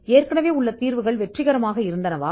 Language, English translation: Tamil, Have the existing solutions been successful